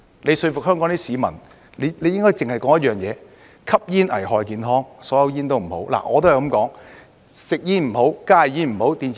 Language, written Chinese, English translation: Cantonese, 要說服香港市民，應該只說一點：吸煙危害健康，所有香煙都不好。, Is it really justifiable? . To convince members of the public in Hong Kong we should only focus on one point smoking is hazardous to health and all cigarettes are bad